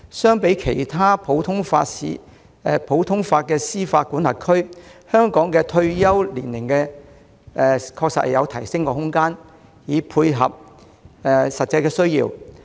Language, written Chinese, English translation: Cantonese, 相比其他普通法司法管轄區，香港法官的退休年齡確實有提升空間，藉以配合實際需要。, In comparison with other common law jurisdictions there is room in Hong Kong to extend the retirement age of judges to meet the actual needs